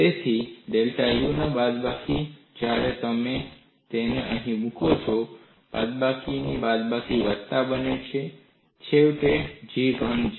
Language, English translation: Gujarati, So, minus of delta U, when you put it here, minus of minus becomes plus; so finally, G is positive